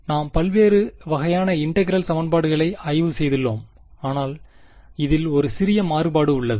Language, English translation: Tamil, We have studied different types of integral equations, this is a slight variation